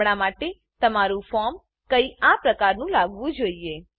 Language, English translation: Gujarati, For now, your form should look something like this